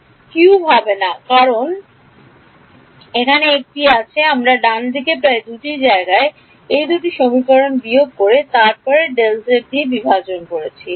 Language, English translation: Bengali, It won’t be cube because there is a, I am dividing everywhere about delta z right subtract these two equations and then divide by delta z